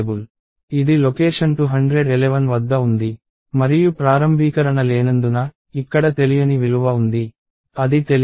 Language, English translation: Telugu, Let us say, this is at location 211 and since there is no initialization, there is unknown value here, it is unknown